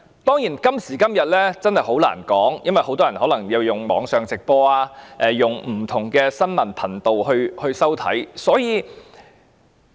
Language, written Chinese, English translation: Cantonese, 當然，今時今日真的很難確定，因為很多人可能收看不同新聞頻道或收看網上直播。, Certainly it is really difficult to confirm today for many people may watch the programme on different news channels or live broadcast on the Internet